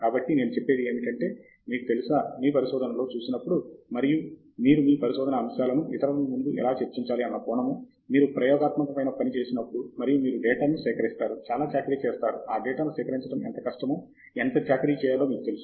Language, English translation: Telugu, So I would say, you know, even when you look at research, and when you say from the perspective of how you discuss it in front of others, when you do experimental work, and you collect data, in a sense you are doing that drudgery; all those hard work that, you know, is involved in collecting the data